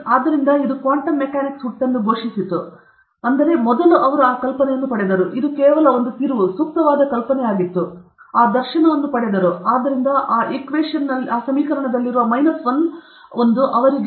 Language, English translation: Kannada, So, this announced the birth of quantum mechanics, but first he got the idea it was just a curve fitting idea; he just got this dharshana, oh